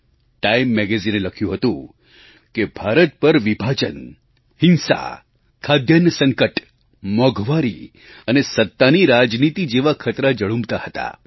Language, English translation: Gujarati, Time Magazine had opined that hovering over India then were the dangers of problems like partition, violence, food scarcity, price rise and powerpolitics